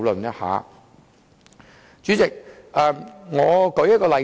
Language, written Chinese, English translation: Cantonese, 代理主席，讓我舉一個例子。, Deputy President let me cite an example